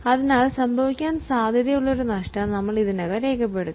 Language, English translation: Malayalam, So, we will already record a loss which is likely to happen